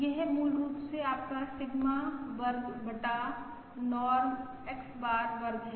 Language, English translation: Hindi, Sigma square divided by Norm X bar square